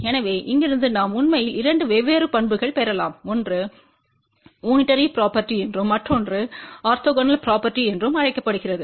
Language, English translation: Tamil, So, from here we can actually get two different properties one is known as a unitary property, another one is known as orthogonal property